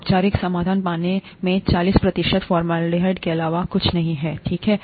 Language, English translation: Hindi, Formalin solution is nothing but forty percent formaldehyde in water, okay